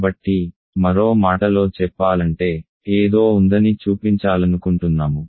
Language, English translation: Telugu, So, in other words we want to show that there is something